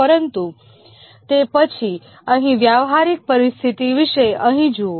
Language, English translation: Gujarati, But then look at here about the practical situation here